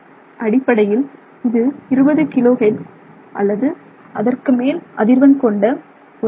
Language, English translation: Tamil, So, it's basically a sound wave with frequency greater than 20 kilohertz